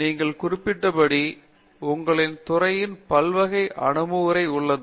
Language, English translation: Tamil, So, in your department as you mentioned, you have this multidisciplinary approach